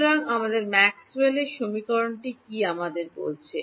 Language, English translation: Bengali, So, what is our Maxwell’s equation telling us